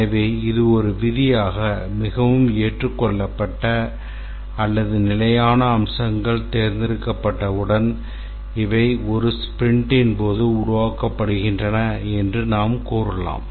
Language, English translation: Tamil, And therefore, as a rule, once the features that are most accepted or stable have been selected, these are developed during a sprint